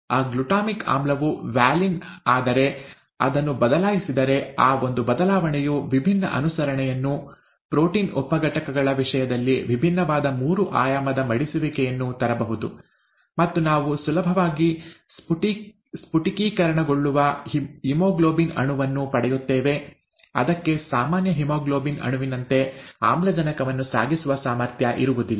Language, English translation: Kannada, If, if that is changed, then just that one change can bring about a different conformation, different three dimensional folding in the case of the various protein sub units, and we get a haemoglobin molecule that can easily crystallize out, it will not have an ability to carry oxygen as a normal haemoglobin molecule does